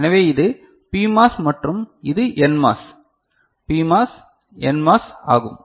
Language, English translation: Tamil, So, this is PMOS and this is NMOS, PMOS, NMOS